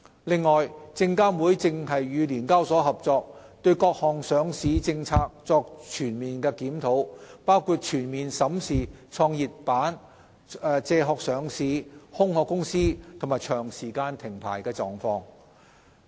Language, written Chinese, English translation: Cantonese, 另外，證監會正與聯交所合作，對各項上市政策作全盤檢討，包括全面審視創業板、借殼上市、"空殼"公司及長時間停牌的情況。, Furthermore SFC and SEHK are working on an overall review of a range of listing policies including a holistic review of GEM backdoor listings shells and prolonged suspensions